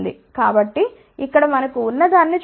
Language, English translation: Telugu, So, let us see what we have here